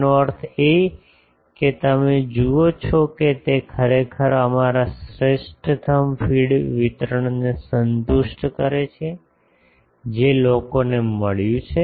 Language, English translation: Gujarati, So that means, you see it actually satisfied our that feed optimum feed distribution that people have found